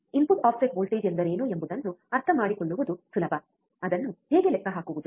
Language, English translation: Kannada, Easy easy to understand what is the input offset voltage, but how to calculate it, right how to calculate it